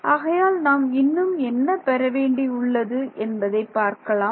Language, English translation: Tamil, So, let us see still need that is what we have